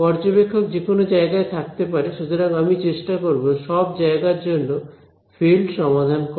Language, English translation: Bengali, So, observer could be anywhere, so I will try to solve for the fields everywhere right